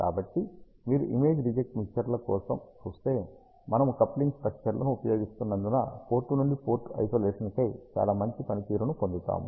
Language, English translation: Telugu, So, if you see for image reject mixers, because we use the coupling structures we get a very good performance on the port to port Isolation